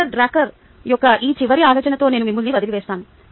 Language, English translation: Telugu, let me leave you with this final thought of peter drucker: thank you